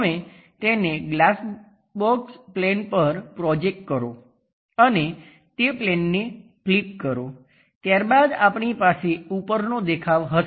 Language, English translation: Gujarati, Now project that onto that glass box plane and flip that plane then we will have a top view